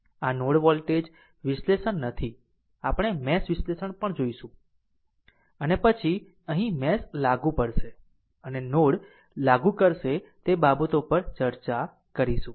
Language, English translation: Gujarati, This is not a node voltage analysis we will see mesh analysis also and then the then here we will apply mesh and we will apply node we will discuss those things right